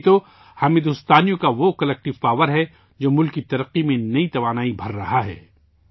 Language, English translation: Urdu, This is the collective power of the people of India, which is instilling new strength in the progress of the country